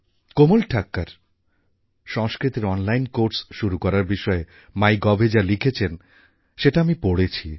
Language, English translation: Bengali, I read a post written on MyGov by Komal Thakkar ji, where she has referred to starting online courses for Sanskrit